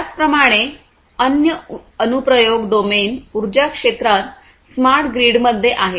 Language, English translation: Marathi, So, likewise other application domain would be in the energy sector, in the smart grid